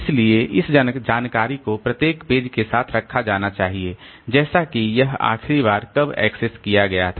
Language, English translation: Hindi, So, this information has to be kept with each page like when it was last accessed